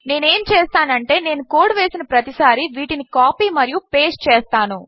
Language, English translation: Telugu, What I will do is, whenever I code, I copy and paste these down